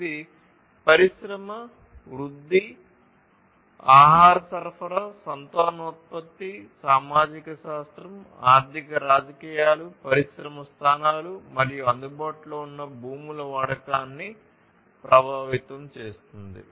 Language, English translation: Telugu, It affects the industry growth, food supplies, fertility, sociology, economics politics, industry locations, use of available lands, and so on